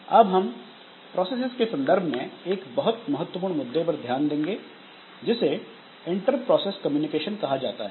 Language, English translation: Hindi, Next we'll be looking into another very important issue in case of processes which is known as inter process communication